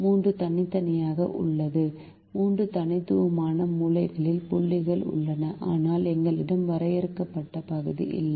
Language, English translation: Tamil, there are three distinct corner, there are three distinct corner points, but there is no finite region that we have